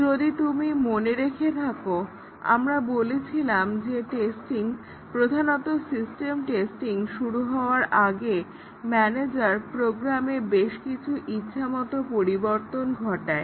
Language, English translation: Bengali, If you remember, we said that the manager before the testing starts typically the system testing makes several arbitrary changes to the program